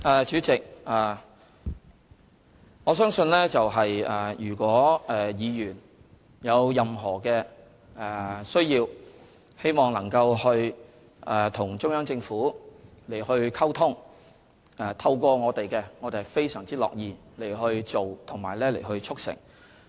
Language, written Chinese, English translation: Cantonese, 主席，如果議員有任何需要，希望能夠透過我們與中央政府溝通，我們是非常樂意去做及促成的。, President in case any Members need to communicate with the Central Government via us we are very happy to help bring forth the communication